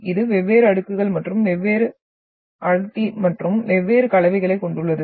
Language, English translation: Tamil, It is having different layers and of different density and different composition